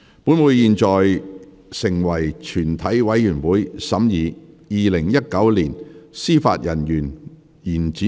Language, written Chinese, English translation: Cantonese, 本會現在成為全體委員會，審議《2019年司法人員條例草案》。, Council now becomes committee of the whole Council to consider the Judicial Officers Amendment Bill 2019